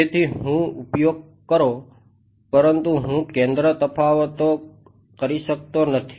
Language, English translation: Gujarati, So, use, but I cannot do centre differences